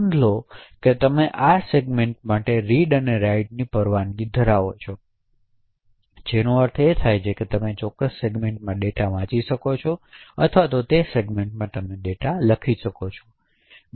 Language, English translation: Gujarati, Also notice that you have read write permission for this segment which means that you could read the data from that particular segment or write data to that particular segment